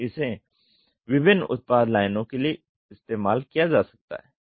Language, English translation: Hindi, So, it can be used for various product lines